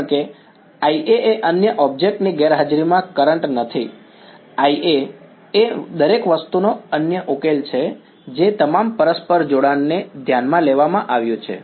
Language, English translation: Gujarati, Because I A is not the current in the absence of the other object, I A is come other solution of everything all the mutual coupling has been taken into account